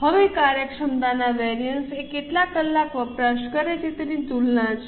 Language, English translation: Gujarati, Now, the efficiency variance is comparison with number of hours consumed